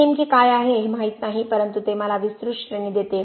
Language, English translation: Marathi, It does not tell me what exactly it is but it gives me a broader range